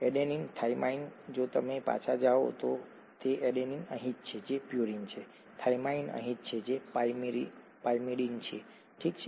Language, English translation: Gujarati, Adenine, thymine; if you go back, adenine is here which is a purine, thymine is here which is a pyrimidine, okay